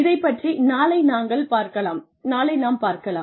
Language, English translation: Tamil, We will cover this tomorrow